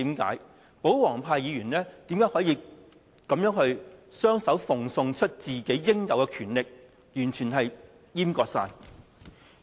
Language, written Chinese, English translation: Cantonese, 為何保皇派的議員可以雙手奉送自己應有的權力，完全閹割議會呢？, How can Members from the royalist camp surrender their rights with their own hands and have the Council completely castrated?